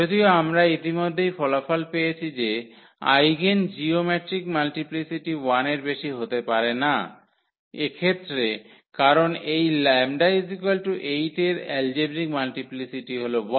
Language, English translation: Bengali, Though, we have already the result that the eigen the geometric multiplicity cannot be more than 1 now in this case, because the algebraic multiplicity of this lambda is equal to 8 is 1